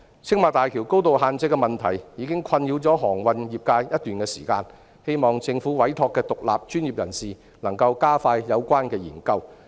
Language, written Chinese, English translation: Cantonese, 青馬大橋高度限制的問題已困擾航運業界一段時間，我希望政府委託的獨立專業人士能加快有關研究。, The shipping industry has been plagued by the problem of the height limit of the Tsing Ma Bridge for quite some time . I hope the independent professionals commissioned by the Government can speed up the study